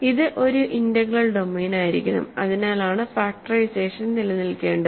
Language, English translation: Malayalam, So, it has to be an integral domain that is why the factorization must exist